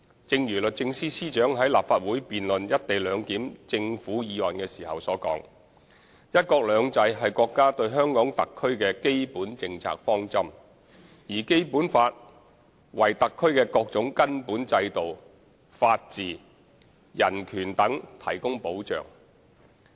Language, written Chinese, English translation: Cantonese, 正如律政司司長於立法會辯論"一地兩檢"政府議案時所言，"一國兩制"是國家對香港特區的基本政策方針，而《基本法》為特區的各種根本制度、法治、人權等提供保障。, As the Secretary for Justice has said during the Legislative Council debate on the Government motion concerning co - location arrangement one country two systems is a basic policy of the Peoples Republic of China PRC regarding HKSAR whereas the Basic Law safeguards the HKSARs fundamental systems rule of law and human rights among others